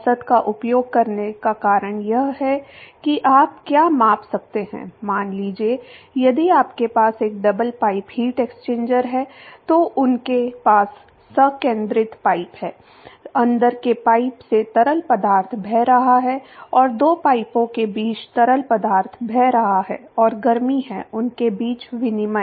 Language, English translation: Hindi, The reason why you would use the average is what you can measure, supposing, if you have a double pipe heat exchanger they have concentric pipes, there is fluid flowing through the inside pipe and there is fluid flowing between the two pipes and there is heat exchange between them